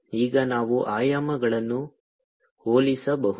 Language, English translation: Kannada, now we can compare the dimensions